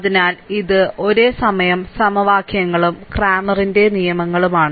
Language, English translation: Malayalam, So, this is simultaneous equations and cramers rule